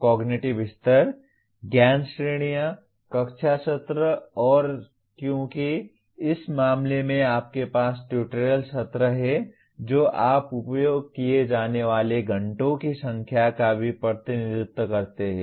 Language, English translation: Hindi, Cognitive level, knowledge categories, classroom sessions and because in this case you have tutorial sessions you also represent number of hours that are used